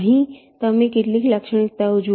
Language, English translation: Gujarati, here you look at some of the properties